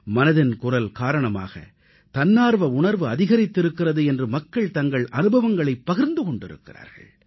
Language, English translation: Tamil, People have shared their experiences, conveying the rise of selfless volunteerism as a consequence of 'Mann Ki Baat'